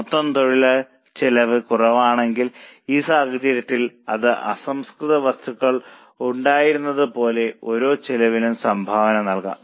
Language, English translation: Malayalam, If total labour cost is in short supply, it can be contribution per labour cost, like in this case it was on raw material